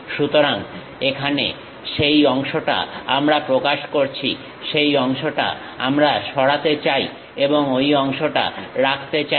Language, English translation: Bengali, So, here that part we are representing; this part we want to remove and retain that part